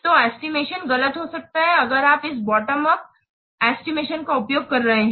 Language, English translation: Hindi, So the estimate may be inaccurate if you are using this bottom of estimation